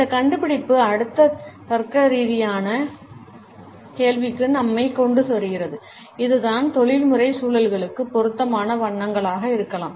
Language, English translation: Tamil, This finding brings us to the next logical question and that is what may be the suitable colors for professional contexts